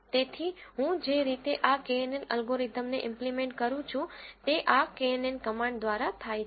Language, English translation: Gujarati, So, the way I implement this knn algorithm is through this knn command